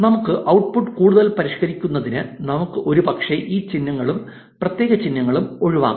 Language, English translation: Malayalam, To further refine our output we can probably eliminate these punctuation marks and special symbols as well